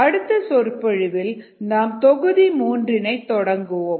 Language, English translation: Tamil, when we begin the next lecture we will take module three forward